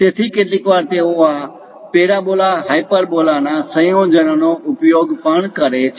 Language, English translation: Gujarati, So, occasionally they use this parabola hyperbola combinations also